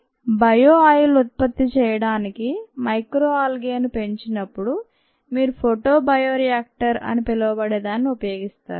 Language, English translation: Telugu, so when an algae is grown, micro algae is grown to produce ah bio oil, you use something called a bioreactor